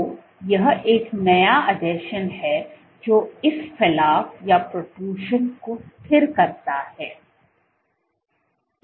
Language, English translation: Hindi, So, this is a new adhesion which stabilizes this adhesion